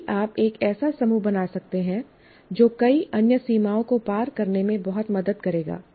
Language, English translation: Hindi, If you can form a group that will greatly help overcome many of the other limitations